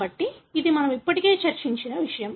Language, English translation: Telugu, So, this is something that we already discussed